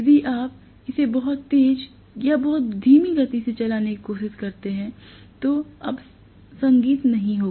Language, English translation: Hindi, If you try to run it too fast or too slow music will not be music anymore right